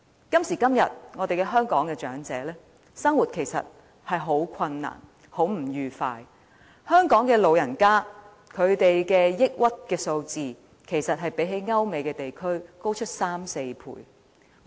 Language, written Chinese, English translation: Cantonese, 今時今日，香港長者的生活其實十分困難，十分不愉快，香港老人家的抑鬱指數相比歐美地區高出3至4倍。, At present lives of the elderly in Hong Kong are rather difficult . They are unhappy . The depression rate of the Hong Kong elderly is three to four times more than that of their American and European counterparts